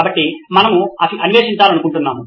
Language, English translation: Telugu, So we would like to explore